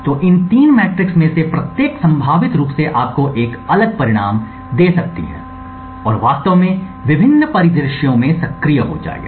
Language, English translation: Hindi, So, each of these three metrics could potentially give you a different result and would become actually active in different scenarios